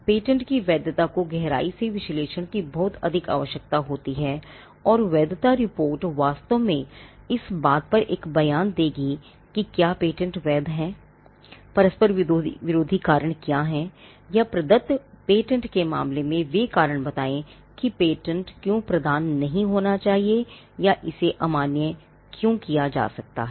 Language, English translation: Hindi, The validity of a patent requires a much more in depth analysis, and the validity report will actually give make a statement on whether the patent is valid, what are the conflicting reasons, or the give that give out the reasons why the patent should not be granted, or why it can be invalidated, in case of a granted patent